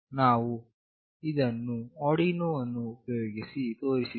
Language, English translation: Kannada, We have shown it using Arduino